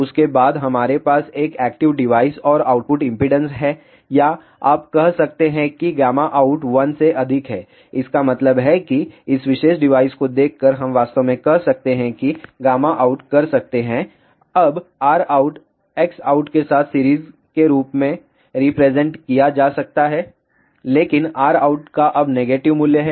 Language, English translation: Hindi, After that we have an active device and the output impedance or you can say gamma out is greater than 1 so; that means, looking from this particular device, we can actually say that gamma out can, now be represented as R out in series with X out, but R out now has a negative value